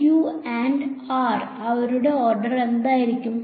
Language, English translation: Malayalam, q and r what will their order be